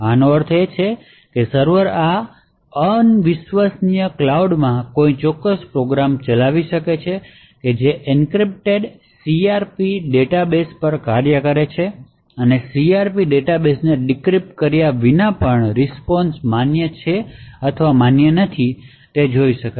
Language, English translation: Gujarati, This means that the server could actually run a particular program in this un trusted cloud which works on the encrypted CRP database and would be able to actually obtain weather the response is in fact valid or not valid even without decrypting the CRP database